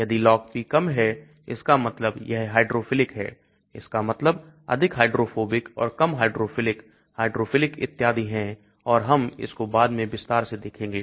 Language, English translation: Hindi, If the Log P is low that means it is hydrophilic that means higher hydrophobic and lower, it is hydrophilic hydrophilic and so on and we will look at in more detail later